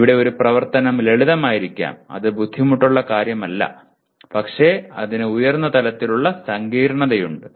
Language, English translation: Malayalam, Whereas an activity here may be simple not that very difficult but it has a higher level complexity